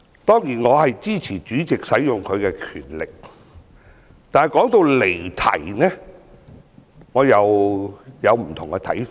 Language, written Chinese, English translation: Cantonese, 當然，我支持主席運用他的權力。但是，談到離題，我有不同的看法。, While I certainly support the President in exercising his powers I have to voice my different views on digression